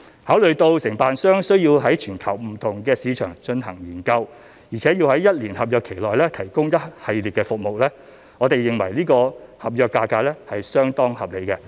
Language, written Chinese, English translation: Cantonese, 考慮到承辦商需要在全球不同市場進行研究，而且要在一年合約期內提供一系列服務，我們認為是次合約價格相當合理。, Taking into account the need for the contractor to carry out global research in different markets and to deliver a wide range of services within the one - year contract period we reckon that the contract price at stake is very reasonable